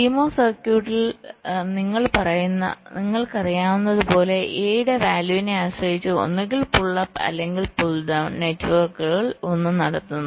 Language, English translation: Malayalam, so, as you know, in a c mos circuit, depending on the value of a, so either the pull up or the pull down, one of the networks is conducting